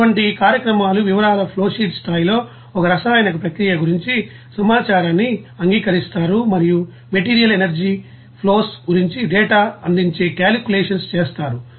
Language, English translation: Telugu, And such programs accept information about a chemical process at the flowsheet level of detail and make calculations that provide data about not only material energy flows